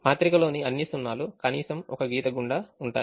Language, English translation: Telugu, all the zeros in the matrix will have at least one line passing through them